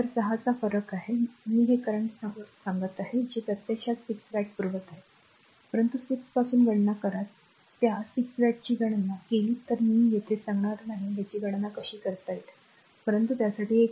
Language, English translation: Marathi, So, 6 differences is there I am telling you this current source actually supplying 6 watt, but you calculate from how 6 if that 6 watt you calculate from your said the how can you calculate that I will not tell here, but it is an exercise for you right So, I am let me clean this